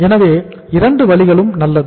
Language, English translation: Tamil, So either way is good